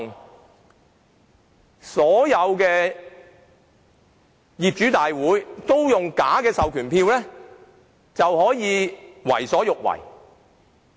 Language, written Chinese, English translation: Cantonese, 當所有業主大會均出現假的授權書時，不法團體便可為所欲為。, When falsified proxy instruments appear in all owners committees unlawful groups can do whatever they want